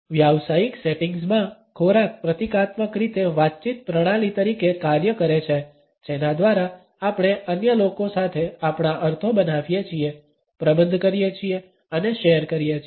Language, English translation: Gujarati, In the professional settings food function symbolically as a communicative practice by which we create, manage and share our meanings with others